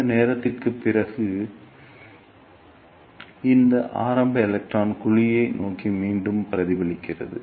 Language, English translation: Tamil, After this distance L e, this early electron is also reflected back towards the cavity